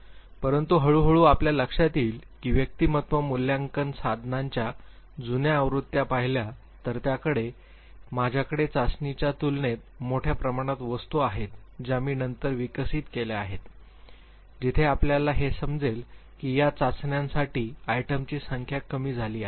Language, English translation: Marathi, But gradually you would realize that if you look at the older versions of the personality assessment tools ,they had large number of items compare to the test which I have developed much later where you would realize that of the number of items for these tests have reduced